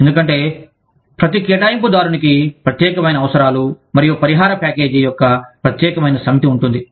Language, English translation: Telugu, Because, every assignee has a unique set of needs, and a unique set of compensation package